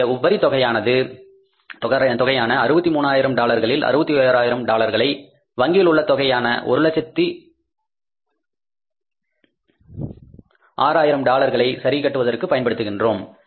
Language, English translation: Tamil, Out of 63,000 dollars of the surplus, we use 61,000 to pay back to the bank to adjust the remaining loan of the $106,000